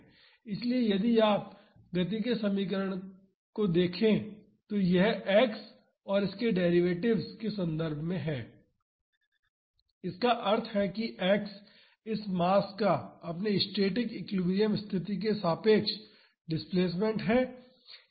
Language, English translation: Hindi, So, if you look at this equation of motion, this is in terms of x and its derivatives so; that means, x is the displacement of this mass relative to its static equilibrium position